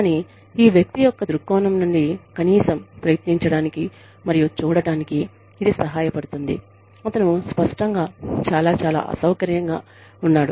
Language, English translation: Telugu, But, it helps, to at least, try and see things, from the perspective of this person, who is obviously, very, very, uncomfortable